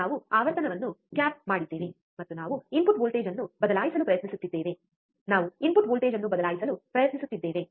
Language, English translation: Kannada, We have cap the frequency as it is, and we have we are trying to change the input voltage, we are trying to change the input voltage